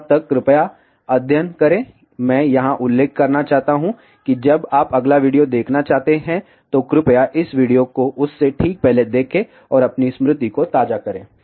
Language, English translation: Hindi, Till then please study I do want to mention here that when you want to see the next video please see this video just before that and refresh your memory